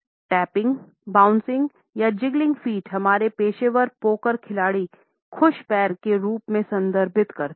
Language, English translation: Hindi, Tapping bouncing or jiggling feet; our professional poker players refer to as happy feet